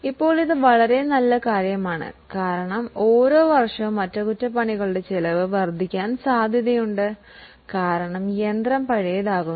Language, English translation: Malayalam, Now, this is a very good thing because every year the cost of repair is likely to increase because the machine is becoming older